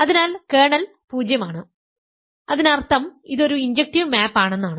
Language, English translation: Malayalam, So, the kernel is 0; that means, it is an injective map